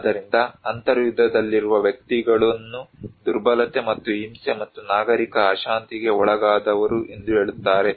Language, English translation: Kannada, So, people who are at civil war that really put the individuals as a vulnerable and violence and civil unrest